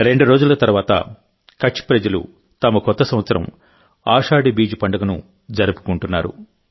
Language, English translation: Telugu, Just a couple of days later, the people of Kutch are also going to celebrate their new year, that is, Ashadhi Beej